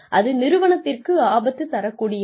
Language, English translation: Tamil, And, that can be detrimental to the organization